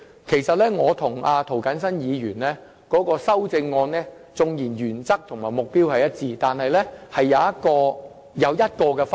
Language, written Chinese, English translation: Cantonese, 其實，雖然我與涂謹申議員提出的修正案原則和目標一致，但當中有一個分別。, In fact despite the common principles and objectives of the CSAs proposed by me and Mr James TO there is one difference between us